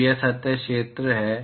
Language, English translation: Hindi, So, that is the surface area